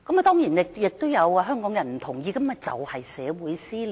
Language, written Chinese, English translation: Cantonese, 當然，這也有香港人不同意，這就是社會撕裂。, Of course some Hong Kong people do not agree to such behaviour . And this is precisely the social cleavage I talk about